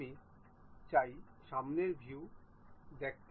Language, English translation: Bengali, I would like to see front view